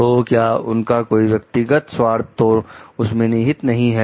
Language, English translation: Hindi, So, do they have any personal interest vested in it